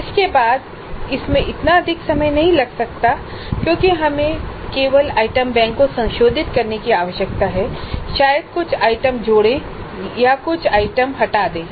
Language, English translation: Hindi, Subsequently it may not be that much time consuming because we need to only revise the item bank maybe add certain items, delete certain items